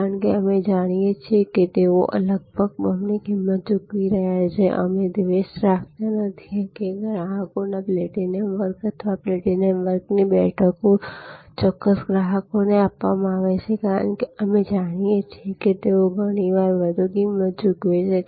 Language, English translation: Gujarati, Because, we know they are paying almost double the price or we do not grudge, that the platinum class of customers or the platinum class of seats are given to certain customers, we do not, because we know that they are paying much higher